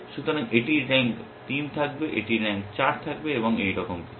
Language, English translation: Bengali, So, this will have rank 3, this will have rank 4, and so on and so forth